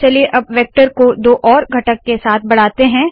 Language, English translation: Hindi, Let us now augment the vector with two more components